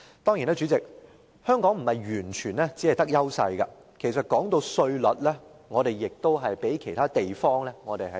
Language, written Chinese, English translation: Cantonese, 當然，主席，香港並不是完全佔有優勢，就稅率而言，我們稍遜於其他地方。, Of course President Hong Kong does not enjoy absolute advantage . Our tax rates are not as attractive as those in other places